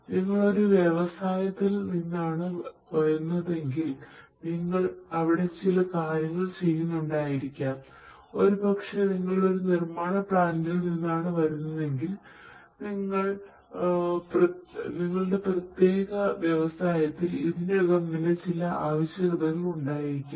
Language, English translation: Malayalam, Maybe if you are coming from an industry, you might yourself be involved in certain processes, maybe if you are coming from a manufacturing plant, there might be certain requirements that might be already there in your particular industry in which you are serving